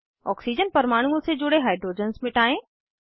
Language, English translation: Hindi, Delete the hydrogens attached to the oxygen atoms